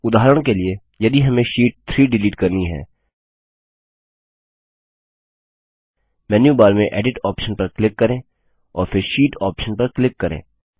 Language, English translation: Hindi, For example if we want to delete Sheet 3 from the list, click on the Edit option in the menu bar and then click on the Sheet option